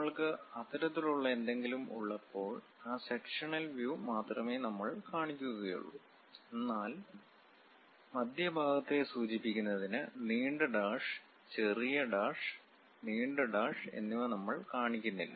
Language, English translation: Malayalam, When we have such kind of thing, we will represent only that sectional view representation; but we we do not show, we do not show anything like long dash, short dash, long dash to represent center